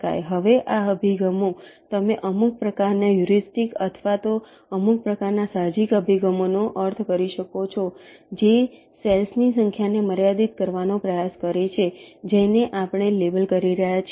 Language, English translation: Gujarati, ok now, these approaches, these are, you can some kind of heuristics or ah, some kind of means, intuitive approaches which try to restrict the number of cells that we are labeling